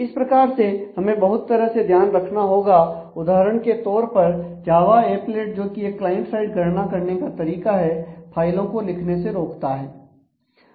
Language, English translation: Hindi, So, there are different kinds of care that is to be taken for example, Java applet which is another way of doing client side computation disallows file writes and so, on